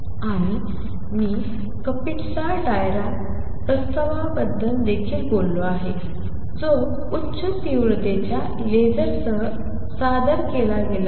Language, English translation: Marathi, And I have also talked about Kapitsa Dirac proposal which has been performed with high intensity lasers